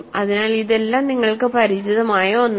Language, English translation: Malayalam, So, this is all something that you are familiar with